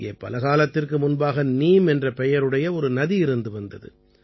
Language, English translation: Tamil, A long time ago, there used to be a river here named Neem